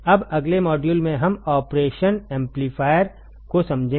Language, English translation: Hindi, So, today let us see how we can use the operational amplifier